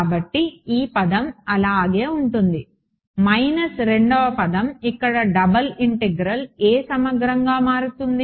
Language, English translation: Telugu, So, this term will remain as it is minus so the second the double integral will become a what integral